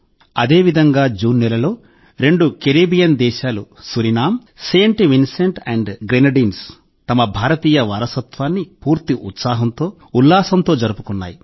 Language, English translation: Telugu, Similarly, in the month of June, two Caribbean countries Suriname and Saint Vincent and the Grenadines celebrated their Indian heritage with full zeal and enthusiasm